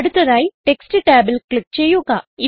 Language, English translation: Malayalam, Next click on Text tab